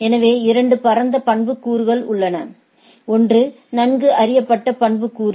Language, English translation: Tamil, So, there are 2 broad attributes, one is the well known attributes